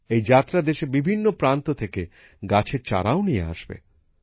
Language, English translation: Bengali, This journey will also carry with it saplings from different parts of the country